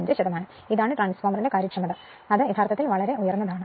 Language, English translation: Malayalam, So, this is the efficiency of the transformer; transformer efficiency actually is very high right